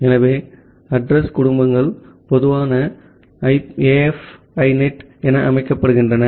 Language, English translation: Tamil, So, the address families normally set to AF INET